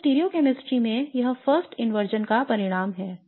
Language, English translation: Hindi, So this results in the first inversion in stereo chemistry